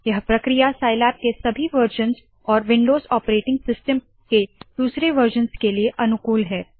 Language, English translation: Hindi, This procedure is applicable to all versions of Scilab and other versions of windows operating system